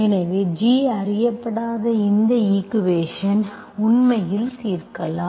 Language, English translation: Tamil, So I am actually solving this equation where G is unknown